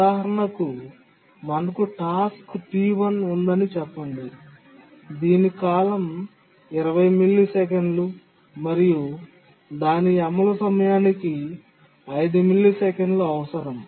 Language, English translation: Telugu, Just to give an example, let's say we have task T1 whose period is 20 milliseconds requires 5 millisecond execution time